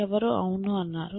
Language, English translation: Telugu, Somebody said yes